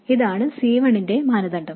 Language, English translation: Malayalam, This is the criterion for C1